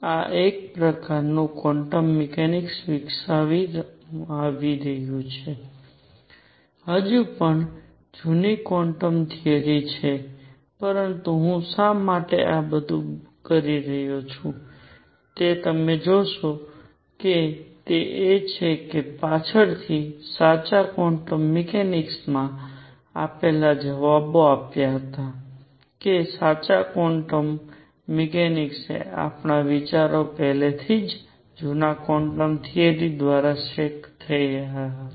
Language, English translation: Gujarati, So, this was a kind of quantum mechanics being developed still the old quantum theory, but why I am doing all this is what you will see is that the ideas that later the true quantum mechanics gave the answers that the true quantum mechanics gave was ideas were already setting in through older quantum theory